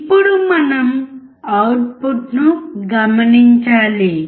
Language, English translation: Telugu, Now, we have to check the output